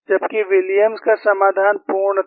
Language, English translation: Hindi, Whereas, the Williams' solution was complete